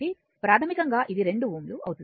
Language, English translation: Telugu, So, basically it will be 2 ohm